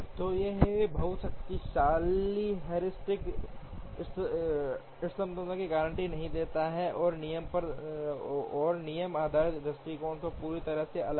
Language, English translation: Hindi, So, this is a very powerful heuristic does not guarantee optimality and is completely different from dispatching rule based approach